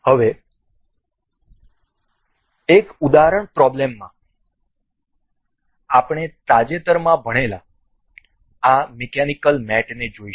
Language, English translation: Gujarati, Now, in an example problem, we will look for the recently learned this mechanical mates available